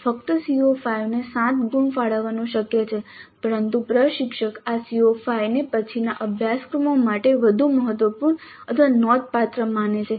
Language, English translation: Gujarati, It is possible to allocate 7 marks only to the CO5 but the instructor perceives the CO5 to be more important, significant for later courses